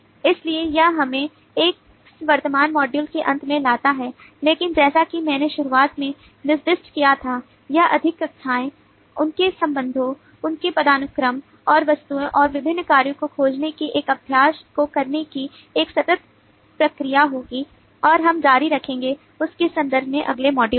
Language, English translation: Hindi, so this brings us to the end of this current module, but, as i had specified at the beginning, this will be an ongoing process of doing this exercise of finding more classes, their relationships, their hierarchy, and the objects and different operations, and we will continue in the next module in terms of that